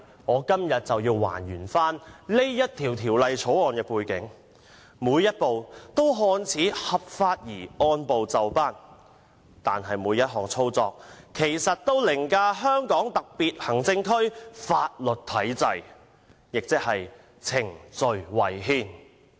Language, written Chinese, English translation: Cantonese, 我今天便要"還原"《條例草案》的背景，每一步均"看似"合法而按部就班，但其實每一項操作均凌駕香港特別行政區法律體制，亦即程序違憲。, Today I would return to the context in which the Bill came about . Each step seemed to be lawful and in order but indeed each manoeuvre overrode the legal system of the Hong Kong SAR meaning it was unconstitutional procedure - wise